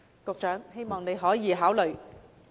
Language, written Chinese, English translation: Cantonese, 我希望局長可以考慮。, I hope the Secretary can consider my suggestion